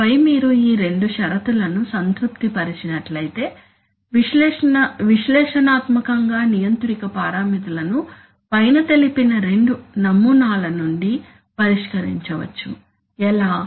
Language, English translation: Telugu, And then if you can, if you have these two conditions satisfied then analytically the controller parameters can be solved from the above two models, how